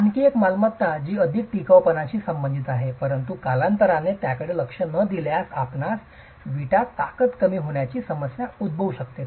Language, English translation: Marathi, Another property which is more related to durability but if not addressed over time you can actually have a problem of strength reduction in the brick